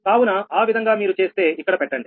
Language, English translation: Telugu, so if you do so, so a put it there